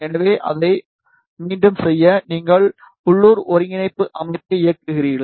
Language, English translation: Tamil, So, to do that again, you enable local coordinates system